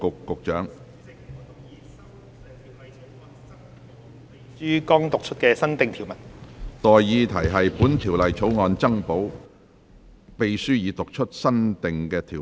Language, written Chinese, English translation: Cantonese, 我現在向各位提出的待議議題是：本條例草案增補秘書已讀出的新訂條文。, I now propose the question to you and that is That the new clause read out by the Clerk be added to the Bill